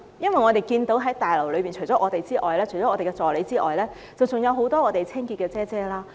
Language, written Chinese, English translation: Cantonese, 因為我們看到在大樓裏面，除了我們和一些議員助理之外，還有很多清潔姐姐。, Because we saw that inside the Complex besides us and some Members assistants there were also many cleaning ladies